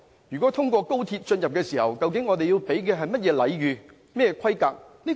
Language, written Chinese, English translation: Cantonese, 如果他們透過高鐵進入香港，究竟我們要提供甚麼規格的禮遇？, If they enter Hong Kong by XRL what kind of protocol we shall follow in receiving them?